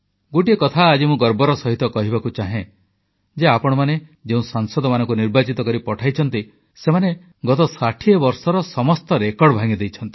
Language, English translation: Odia, Today, I wish to proudly mention, that the parliamentarians that you have elected have broken all the records of the last 60 years